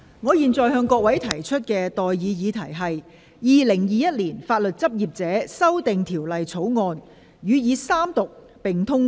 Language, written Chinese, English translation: Cantonese, 我現在向各位提出的待議議題是：《2021年法律執業者條例草案》予以三讀並通過。, I now propose the question to you and that is That the Legal Practitioners Amendment Bill 2021 be read the Third time and do pass